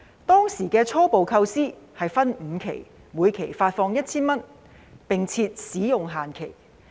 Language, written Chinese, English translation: Cantonese, 當時的初步構思是分5期每期發放 1,000 元，並設使用限期。, The initial thinking then was to disburse the sum in five instalments of 1,000 each and impose a validity period for use